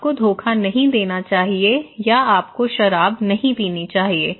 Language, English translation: Hindi, Or your; you should not do cheating or you should not drink alcohol okay